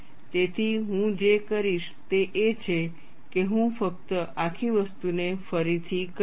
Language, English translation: Gujarati, So, what I will do is, I will just redo the whole thing